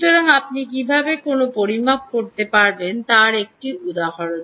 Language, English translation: Bengali, so this is one example of how you can make a measurement